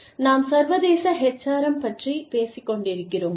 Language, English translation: Tamil, We were talking about, International HRM